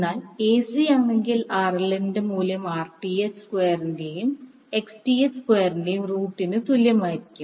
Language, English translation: Malayalam, And solve the this particular, the part of the expression then you get RL equal to under root of Rth square plus Xth plus XL square